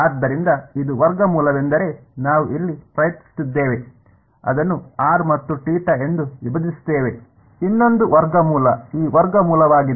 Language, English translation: Kannada, So, one root was what we were trying over here, splitting it into r n theta, another root is this root